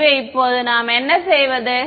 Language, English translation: Tamil, So, now what we do